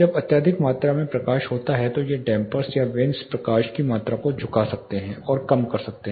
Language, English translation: Hindi, When there is excessive amount of light these dampers or vanes can tilt and minimize the amount of light which is coming in